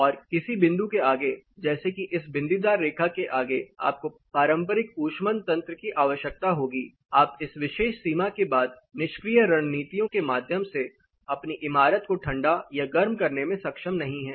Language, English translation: Hindi, And beyond certain point like say this dotted line you will need conventional heating system, you cannot afford to cool your building or heat your building through passive strategies beyond this particular boundary